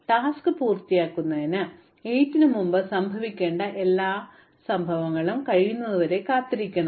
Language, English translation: Malayalam, So, I must wait for everything that has to happen before 8 in order to get the job done